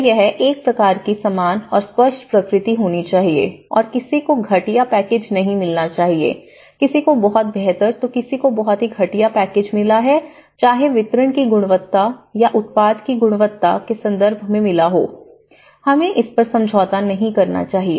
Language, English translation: Hindi, So, there should be a kind of uniform and very transparent nature and no one should not get a substandard packages, you know, someone has got a very better package, someone has got a very substandard package, whether in terms of the quality of the delivery or the quality of the product they have got, so you know, we should not compromise on that